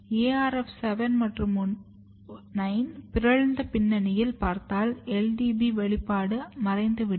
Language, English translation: Tamil, And if you look in the arf 7 and 9 mutant background you see LBD expression is disappeared